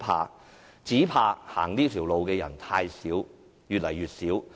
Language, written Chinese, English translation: Cantonese, 我們只怕走這條路的人太少，而且越來越少。, Our only fear is that there are too few people taking this path and that the number of participants is decreasing